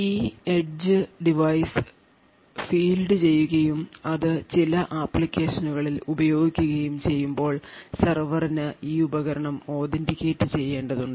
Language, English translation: Malayalam, So when this edge device is fielded and it is actually used in in some applications at some time or the other the server would require that this device needs to be authenticated